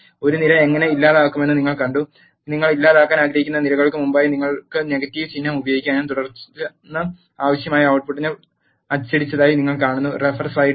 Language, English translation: Malayalam, You have seen how to delete a column, you can use negative symbol before the columns which you want to delete and then assign it to A you will see that the required output is printed